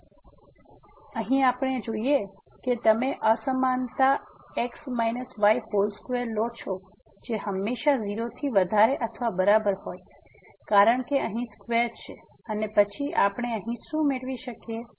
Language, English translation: Gujarati, So, we notice here now that if you take this inequality minus whole square which is always greater than or equal to 0 because of the square here and then what do we get here